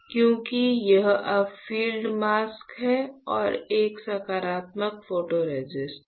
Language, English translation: Hindi, Now, because it is a bright field mask and there is a positive photoresist